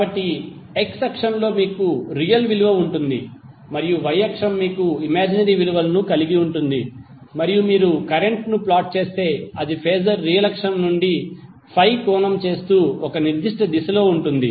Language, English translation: Telugu, So you will have the x axis you will have real value and the y axis you will have imaginary value and if you plot current so it will be Phasor will be in one particular direction making Phi angle from real axis